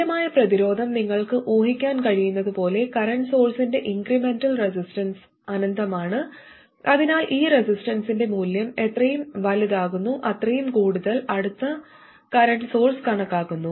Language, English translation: Malayalam, And as you can guess the equivalent resistance, the incremental resistance of a current source is infinity, so the larger the value of this resistance, the more closely it approximates a current source